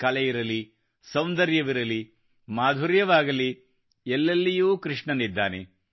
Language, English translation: Kannada, Be it art, beauty, charm, where all isn't Krishna there